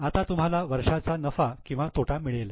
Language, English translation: Marathi, Now you get the profit or loss for the year